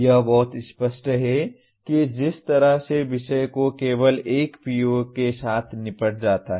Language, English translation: Hindi, It is very clear the way the subject is dealt with only one PO is addressed